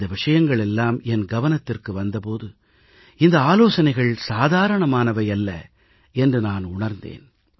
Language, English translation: Tamil, And when these things came to my notice I felt that these suggestions are extraordinary